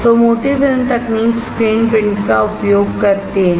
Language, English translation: Hindi, So, thick film technology uses the screen printing